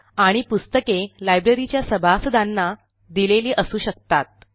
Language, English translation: Marathi, And books can be issued to members of the library